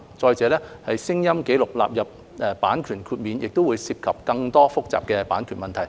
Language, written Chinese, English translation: Cantonese, 再者，將聲音紀錄納入版權豁免亦會涉及更多複雜的版權問題。, Besides including sound recordings in the scope of copyright exceptions will involve more complicated copyright issues